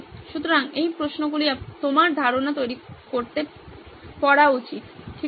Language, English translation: Bengali, So these are questions you should be asking to generate ideas, okay